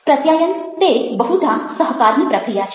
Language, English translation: Gujarati, communication is a process of cooperating